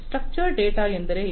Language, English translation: Kannada, Structure data means what